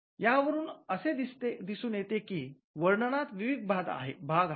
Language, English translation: Marathi, So, this tells us that the description comprises of various parts